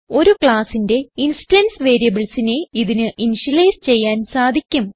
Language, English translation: Malayalam, It can initialize instance member variables of the class